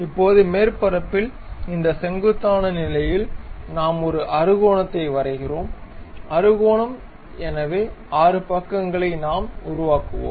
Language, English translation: Tamil, Now, on this normal to surface we draw a hexagon, a hexagon 6 sides we will construct it